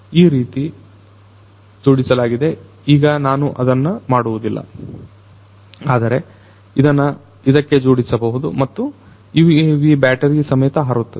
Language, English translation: Kannada, So, it will be attached like this I am not doing it now, but you know it could be attached to this and the UAV along with the battery is going to fly